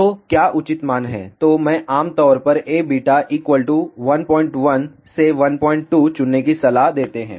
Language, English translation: Hindi, So, what is the appropriate value, so I generally recommend choose A beta equal to 1